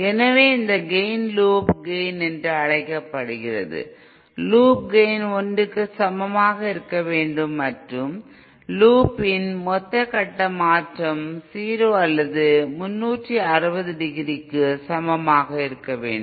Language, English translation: Tamil, So this gain is also known as by the term called Loop Gain that is, Loop gain should be equal to 1 and the loop, total phase change over the loop should be equal to 0 or 360 degree